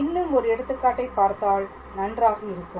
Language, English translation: Tamil, So, perhaps we will do one more example